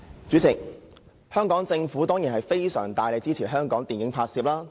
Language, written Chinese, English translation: Cantonese, 主席，政府當然應大力支持電影拍攝。, President the Government should certainly strongly support film production